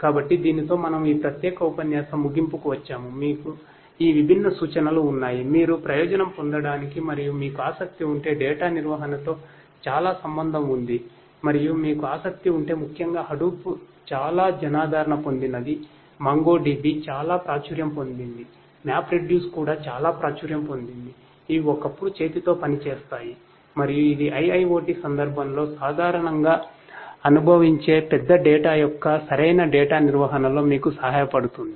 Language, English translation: Telugu, So, with this we come to an end of this particular lecture we have this different difference is given to you, for you to benefit from and if you are interested you know there is a lot to do with data management and if you are interested particularly Hadoop is very popular, MongoDB is very popular, MapReduce is also very popular, these are once which work hand in hand and this can help you in proper data management of big data that is being that is experience typically in the context of in the context of in the context of IIoT